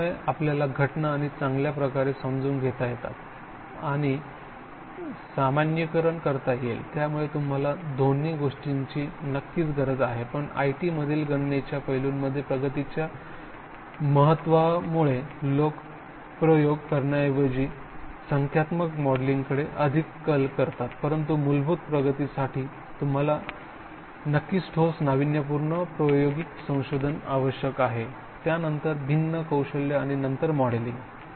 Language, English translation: Marathi, So that will make us better understand and generalise the phenomena, so you need certainly both but because of the importance of advances were made in computation aspect in IT people tend to do more sometimes tend towards numerical modelling rather than experiment but for fundamental breakthrough you need certainly solid innovative experimental researcher, different skills and then modelling